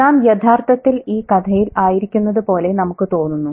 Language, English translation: Malayalam, You feel like you are actually in the story